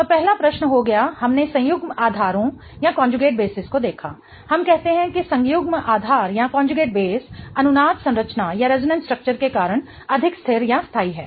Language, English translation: Hindi, We look at the conjugate basis, we say that the conjugate base is more stable due to resonance structure